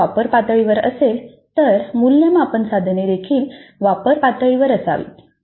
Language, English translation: Marathi, If the CO is at apply level the assessment item also should be at apply level